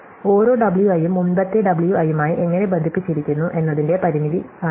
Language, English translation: Malayalam, So, this is the constraint on how each of the W i is connected to the previous W i